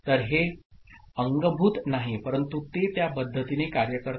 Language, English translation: Marathi, So, it is not built in, but it works in that manner ok